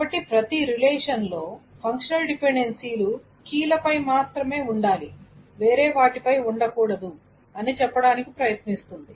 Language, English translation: Telugu, So it tries to say that every relation, the functional dependencies must be only on the keys